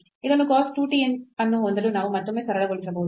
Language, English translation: Kannada, So, this we can again simplify to have this cos 2 t